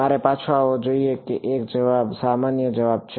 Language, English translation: Gujarati, I should come back that is one answer any other answer